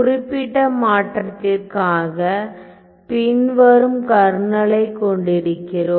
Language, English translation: Tamil, So, we see that for this particular transform, we have this following Kernel